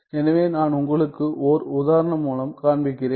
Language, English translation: Tamil, So, I will show you with an example